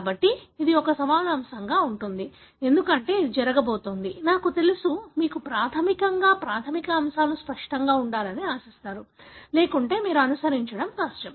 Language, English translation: Telugu, So, this is going to be a challenging topic, because it is going to have, I really, you know, expect you to have the fundamentals clear, otherwise it would be difficult for you to follow